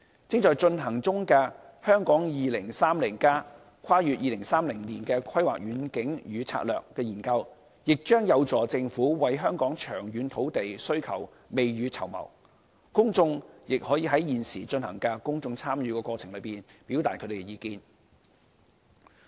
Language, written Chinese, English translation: Cantonese, 正在進行中的《香港 2030+： 跨越2030年的規劃遠景與策略》研究，亦將有助政府為香港的長遠土地需求未雨綢繆，公眾亦可在現時進行的公眾參與過程中，表達他們的意見。, The ongoing Hong Kong 2030 Towards a Planning Vision and Strategy Transcending 2030 study also helps the Government plan ahead the long - term land demand in Hong Kong . The public can also voice out their opinions in the current public engagement exercise